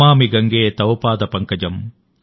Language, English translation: Telugu, Namami Gange Tav Paad Pankajam,